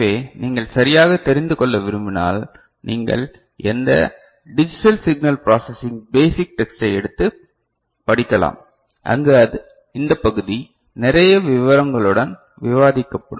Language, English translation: Tamil, So, more of it if you want to know right, you can pick up any digital signal processing basic text, where this part is discussed with a lot of details right fine